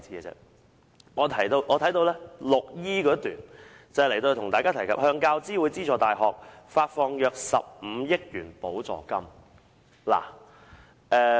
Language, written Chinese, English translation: Cantonese, 文件提到"向大學教育資助委員會資助大學發放約15億元補助金"。, It is mentioned in the document that grants of around 1.5 billion will be given to University Grants Committee UGC - funded universities